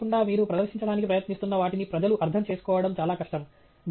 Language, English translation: Telugu, Without scale, it’s very difficult for people to understand what you are trying to present